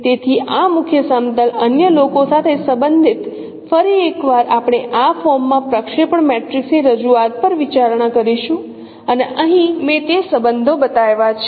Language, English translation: Gujarati, So related to this principle plane others once again we will be considering the representation of the projection matrix in this form and here I have shown those relationships